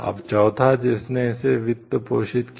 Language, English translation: Hindi, Now, fourth one who financed it